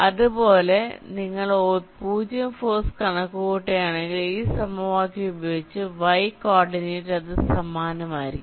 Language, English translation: Malayalam, similarly, if you calculate the zero force, i mean y coordinate, using this equation, it will be similar